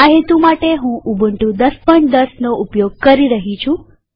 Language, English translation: Gujarati, For this purpose, I am using Ubuntu 10.10